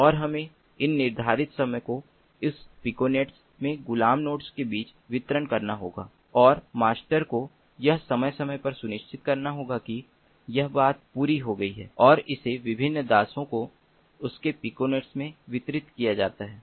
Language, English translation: Hindi, so what the master does is it will have to divide the time that is allotted into different slots and we will have to distribute those slots among the slave nodes in that piconet, and the master will have to ensure that periodically this thing is done and is distributed to the different slaves in its piconet